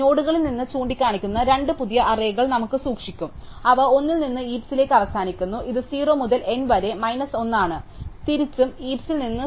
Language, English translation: Malayalam, So, we would keep two new arrays pointing from the nodes, which are one to n to the heap, which is 0 to N minus 1 and vice versa from the heap which is 0 to N to the nodes